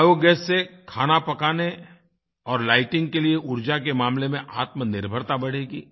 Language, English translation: Hindi, Biogas generation will increase selfreliance in energy utilized for cooking and lighting